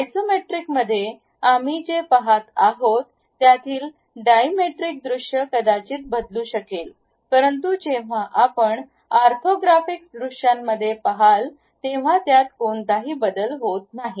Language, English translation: Marathi, At Isometric, Dimetric the view what we are seeing might change, but when you are going to look at orthographic views these information hardly changes